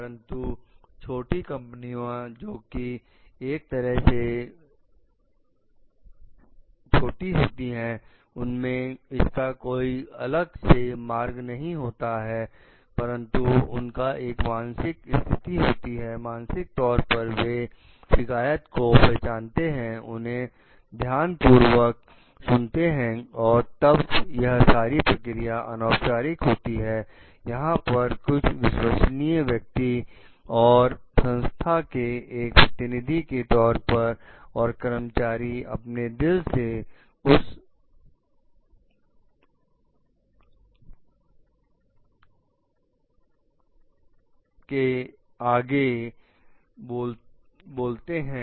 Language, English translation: Hindi, But for small companies which are startups so, there may not be a separate channel for it, but there could be a mental setup, mentality to recognize his complains, listen to it carefully and So, these procedures could be entirely informal, where there is some trustworthy person and as a representative of the organization and the employees are going to speak out their heart in forefront of that person